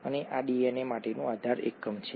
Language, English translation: Gujarati, And this is the base unit for DNA